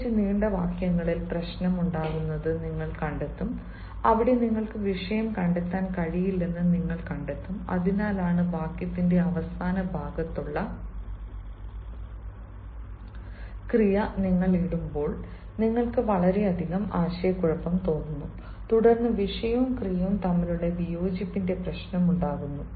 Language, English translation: Malayalam, you will find the problem arises especially in longer sentences, where you will find you are not able to trace the subject, and that is why when you put the verb which is at a later ah, which is in the later part of the sentence, ah, you have a lot of confusion